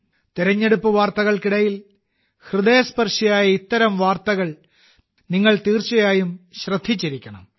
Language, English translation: Malayalam, Amidst the news of the elections, you certainly would have noticed such news that touched the heart